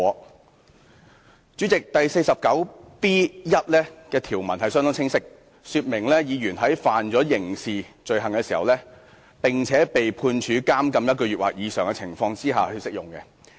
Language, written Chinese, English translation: Cantonese, "代理主席，《議事規則》第 49B1 條的條文相當清晰，說明議員在觸犯刑事罪行，並且被判處監禁1個月或以上的情況下才適用。, Deputy President Rule 49B1 of the Rules of Procedure clearly states that it could only be invoked when a Member was convicted of a criminal offences and was sentenced to imprisonment for one month or more